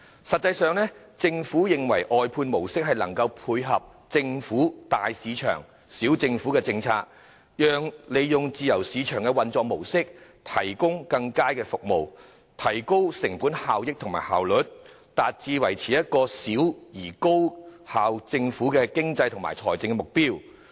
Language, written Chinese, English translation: Cantonese, 實際上，政府認為外判模式能配合其"大市場，小政府"的政策，利用自由市場的運作模式提供更佳服務，提高成本效益和效率，達致小政府、高效率的經濟和財政目標。, In fact the Government considers that the outsourcing approach can complement its policy of big market small government using the mode of operation of free market to provide better services and raise cost - effectiveness and efficiency with a view to attaining the economic and financial objectives of a small government with high efficiency